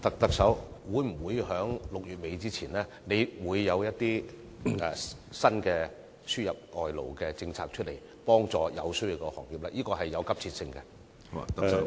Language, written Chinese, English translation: Cantonese, 特首，你會否在6月底前，推出新的輸入外勞政策，以協助有需要的行業，解決迫切的問題？, Chief Executive will you introduce new labour importation policy before the end of June to help the industries in need resolve their urgent problems?